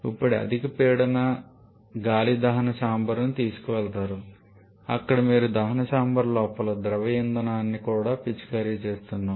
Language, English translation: Telugu, Now this high pressure air is taken to the combustion chamber where fuels are also spraying the liquid fuel inside the combustion chamber